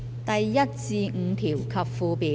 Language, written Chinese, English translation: Cantonese, 第1至5條及附表。, Clause 1 to 5 and the Schedule